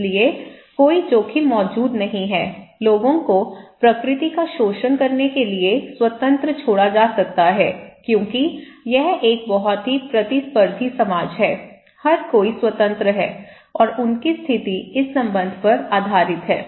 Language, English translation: Hindi, So, there is no risk exist, people can be left free to exploit nature, okay because this is a very competitive society okay, everybody is free and their status is based on ascribe status